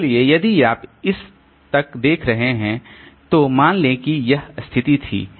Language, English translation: Hindi, So, so if you are looking at this point A, suppose this was the situation